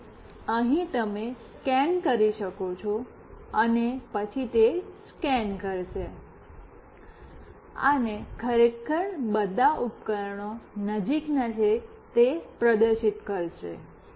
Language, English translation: Gujarati, So, here you can scan, and then it will scan and will actually display what all devices are nearby